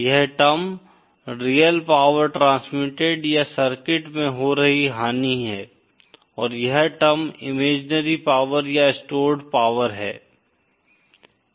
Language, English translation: Hindi, This term is the real power transmitted or the loss happening in the circuit and this term is the imaginary power or stored power